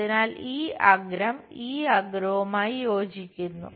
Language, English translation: Malayalam, So, this edge coincides with this edge